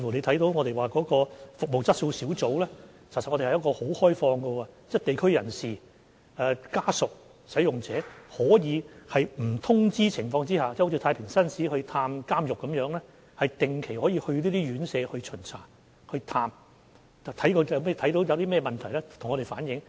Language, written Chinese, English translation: Cantonese, 大家可看到，服務質素小組其實是持非常開放的態度的，地區人士、服務使用者及其家屬均可在不作預先通知的情況下，好像太平紳士探訪監獄般，到那些院舍巡查和探訪，如看到任何問題便可向我們反映。, As Members can see the Service Quality Group is maintaining a very open attitude . Under the scheme unannounced inspections and visits to homes can be conducted for local personalities service users and their family members which are similar to visiting of prisons by Justices of the Peace and they can provide feedback to us on any problems